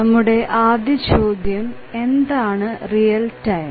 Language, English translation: Malayalam, So, the first question is that what is real time